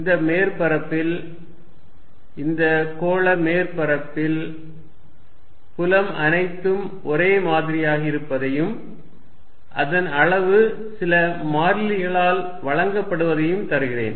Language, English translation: Tamil, But, what I give you is I hide that spherical body, I give you that on this surface the field is all the same on this spherical surface and it is magnitude is given by some constant